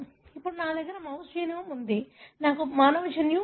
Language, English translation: Telugu, Now I have the mouse genome, I have human genome